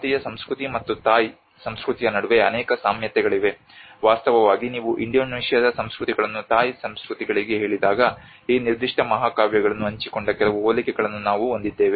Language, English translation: Kannada, There are many similarities between the Indian culture and the Thai culture, in fact, when you say even Indonesian cultures to Thai cultures, we have some similarities which shared this particular epic